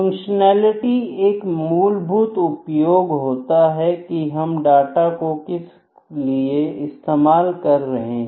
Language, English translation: Hindi, Functionality is the basic or the fundamental use for what purpose is data being used